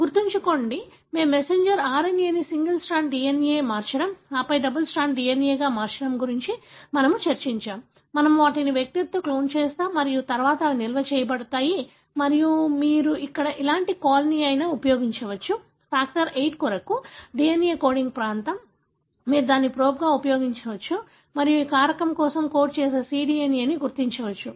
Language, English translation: Telugu, Remember, we discussed about that that we convert the messenger RNA into a single stranded DNA and then to double stranded DNA, we clone them in the vectors and then they are stored and you can use any kind of a probe what you call here for example, the DNA coding region for factor VIII,